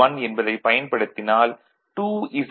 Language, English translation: Tamil, 1, so, 2 Z is equal to 0